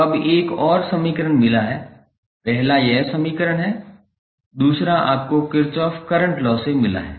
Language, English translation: Hindi, So, now have got another equation first is this equation, second you have got from the Kirchhoff Current Law